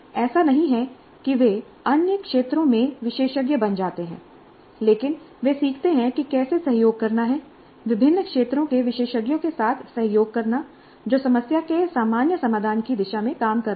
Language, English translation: Hindi, It's not that they become experts in the other domains, but they learn how to cooperate, collaborate with experts from different domains working towards a common solution to the problem at hand